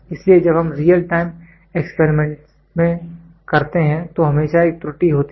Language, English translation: Hindi, So, when we do in real time experiments there is always an error